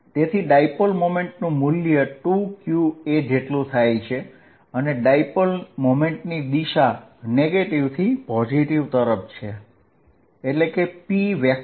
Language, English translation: Gujarati, So, that the magnitude of dipole moment is given by 2qa, and the direction of dipole moment is from negative to positive charge